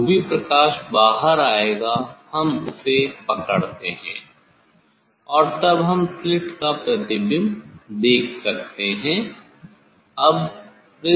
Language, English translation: Hindi, whatever light will come out; that that light we have to catch and then we can see the image of the of the slit